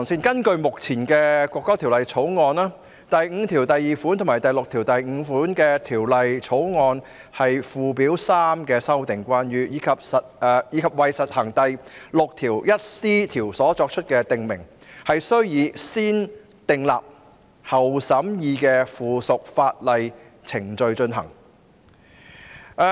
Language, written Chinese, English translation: Cantonese, 根據目前的《國歌條例草案》，第52條及第65條是關於附表3的修訂，以及為施行第 61c 條所作出的訂明，須以"先訂立後審議"的附屬法例程序進行。, Under this National Anthem Bill the Bill clauses 52 and 65 concern the amendment of Schedule 3 and prescription made for the purposes of clause 61c which would be subject to the negative vetting procedure